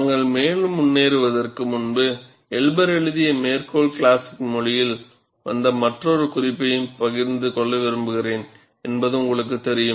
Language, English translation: Tamil, And before we move further, and I would also like to share the another note, which came in the citation classic, which Elber wrote